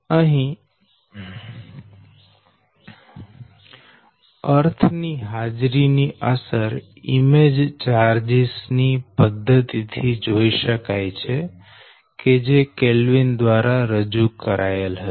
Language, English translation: Gujarati, so the effect of presence of earth can be your, accounted for the method of image charges introduced by kelvin, right